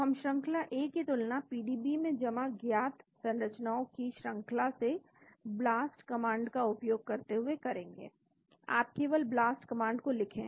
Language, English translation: Hindi, So, we compare thesequence A to all the sequences of known structure stored in the PDB using the Blast command, you just type the BLAST command